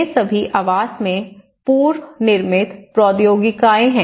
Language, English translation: Hindi, These are all the precast technologies in housing